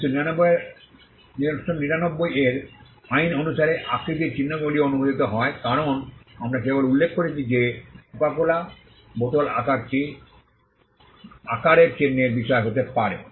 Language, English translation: Bengali, The shape marks are also allowed under the 1999 act as we just mentioned the Coca Cola bottle shape can be a subject matter of shape mark